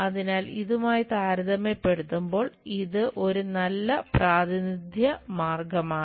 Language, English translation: Malayalam, So, this is a good way of representation compared to this